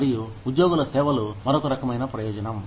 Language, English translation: Telugu, And, employee services is another type of benefit